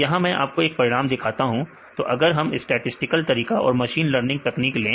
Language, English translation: Hindi, So, here write one of the results I show here; so, if we take statistical here we use statistical methods and machines learning techniques